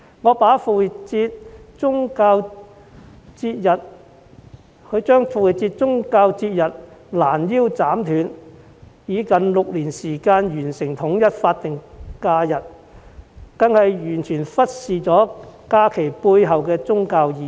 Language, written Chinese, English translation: Cantonese, 攔腰斬斷宗教節日，以6年時間完成統一復活節為法定假日，這做法更是完全忽視假期背後的宗教意義。, Taking six years to turn the truncated religious festival holidays ie . Easter holidays into SH to achieve the alignment is a total negligence of the religious significance behind the festival